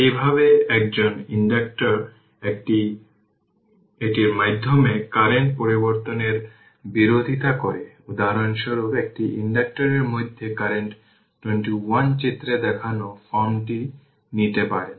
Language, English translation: Bengali, Thus, an inductor opposes an abrupt change in the current through it; for example, the current through an inductor may take the form shown in figure 21a